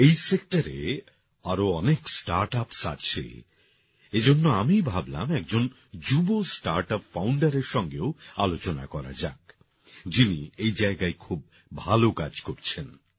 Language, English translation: Bengali, There are many other startups in this sector, so I thought of discussing it with a young startup founder who is doing excellent work in this field